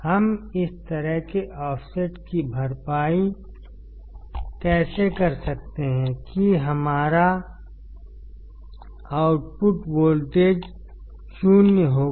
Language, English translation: Hindi, How can we compensate for the offset such that our output voltage would be zero